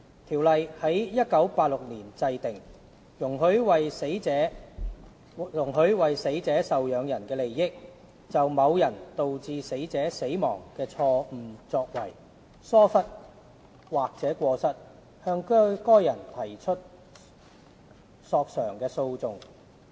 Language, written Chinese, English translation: Cantonese, 《條例》在1986年制定，容許為死者受養人的利益，就某人導致死者死亡的錯誤作為、疏忽或過失，向該人提出索償的訴訟。, The Ordinance was enacted in 1986 . It allows an action for damages to be brought against a person for the benefit of dependants of the deceased in respect of that persons wrongful act neglect or default which has caused the death of the deceased